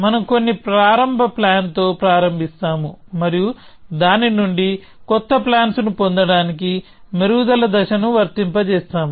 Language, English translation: Telugu, We will start with some initial plan and we will apply the refinement step to get new plans out of that